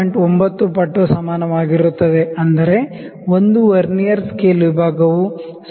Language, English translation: Kannada, 9 times of main scale; that means, 1 Vernier Scale Division is equal to 0